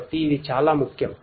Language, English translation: Telugu, So, this is very important